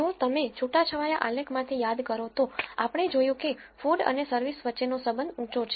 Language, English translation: Gujarati, If you recall from the scatter plot, we saw there was a high correlation between food and service